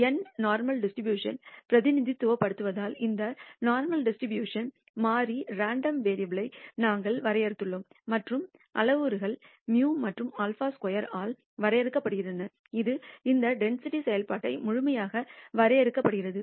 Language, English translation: Tamil, We defined this normal distribution variable random variable as distributed as N represents the normal distribution and the parameters are defined by mu and sigma square which completely defines this density function